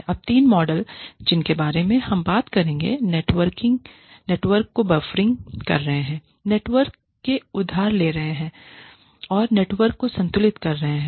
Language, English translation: Hindi, Now, the three models, that we will talk about are, buffering the network, borrowing from the network, and balancing the network